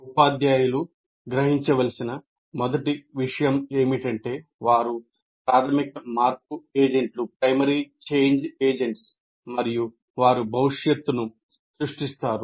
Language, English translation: Telugu, Now let us first thing the teacher should know that they are the major change agents and they create the future